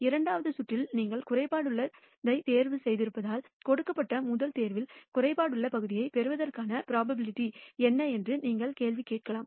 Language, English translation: Tamil, You can ask the question, what is the probability of getting a defective part in the first pick given that you had a defective pick in the second round